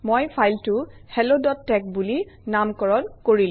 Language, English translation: Assamese, I have named the file hello.tex